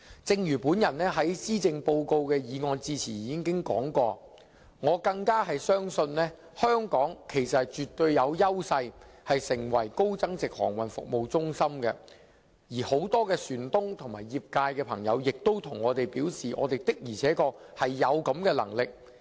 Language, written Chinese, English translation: Cantonese, 正如我在施政報告的致謝議案辯論時所說，我絕對相信香港有優勢成為高增值航運服務中心，而很多船東和業界朋友亦表示，我們的確是有能力的。, As I said in the debate on the Motion of Thanks concerning the Policy Address I certainly believe that Hong Kong can turn itself into a high value - added maritime services centre with its competitive edge . And many ship owners and people in the industry have invariably told me that Hong Kong indeed has the ability